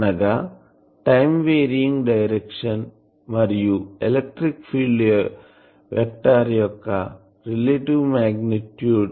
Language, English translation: Telugu, It is the time varying direction and relative magnitude of the electric field vector